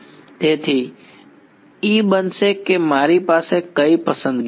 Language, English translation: Gujarati, So, E is going to be what choices do I have